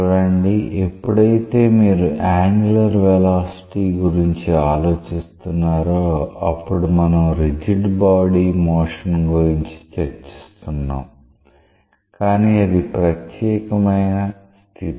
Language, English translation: Telugu, See whenever you are thinking of angular velocity we were discussing about the rigid body motion, but that is a special case